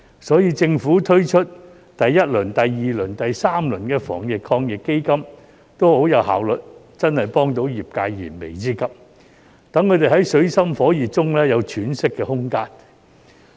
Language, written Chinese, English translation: Cantonese, 所以，政府推出第一輪、第二輪、第三輪防疫抗疫基金都很有效率，真的幫助到業界解燃眉之急，讓他們在水深火熱中有喘息的空間。, This explains why the Government was very efficient in launching the first second and third rounds of the Anti - epidemic Fund and the relevant initiatives could truly help the industry meet its urgent needs and give it a little breathing space amidst its dire situation